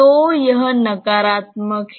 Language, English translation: Hindi, So, this is negative